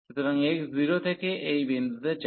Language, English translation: Bengali, So, x goes from 0 to this point